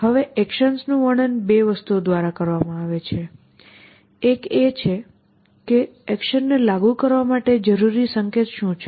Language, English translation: Gujarati, Now, actions are described by 2 things, one is what is necessary to the action to be applicable